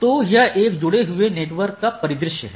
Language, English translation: Hindi, So, that is they are directly connected network scenario